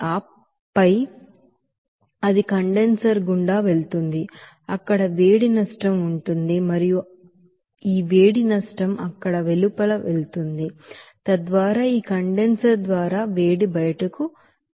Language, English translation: Telugu, And then it will go through the condenser where heat loss will be there and this heat loss will be going that outside there, so that heat will be going to that outside by this condenser